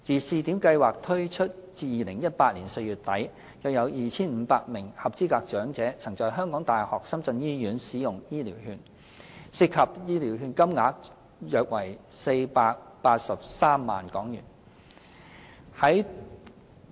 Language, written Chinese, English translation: Cantonese, 試點計劃自推出至2018年4月底，約有 2,500 名合資格長者曾在香港大學深圳醫院使用醫療券，涉及醫療券金額約為483萬港元。, Since the launch of the scheme till the end of April 2018 about 2 500 elderly persons used HCVs at the HKU - SZ Hospital and the total amount of the vouchers claimed was 4.83 million